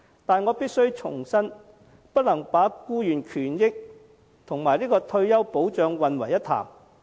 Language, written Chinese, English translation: Cantonese, 但我必須重申，僱員權益和退休保障不能混為一談。, But I must reiterate that employees rights and benefits are not to be confused with retirement protection